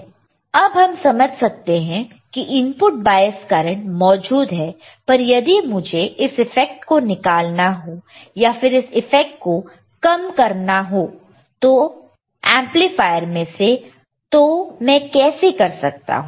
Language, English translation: Hindi, Now, we understand input bias current is there, but if I want to remove the effect or if I want to minimize the effect of the input bias current in an amplifier, this is how I can minimize the effect